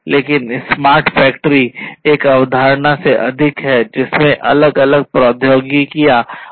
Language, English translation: Hindi, But smart factory is more of a concept there are different building technologies different components of it